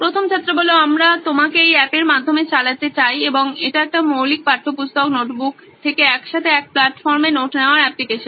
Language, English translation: Bengali, We would like to run you through this app and it is a basic note taking application from textbooks, notebooks together in one platform